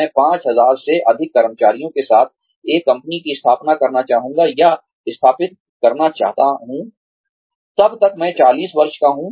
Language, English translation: Hindi, I would like to have a, or establish a company, with more than 5000 employees, by the time, I am 40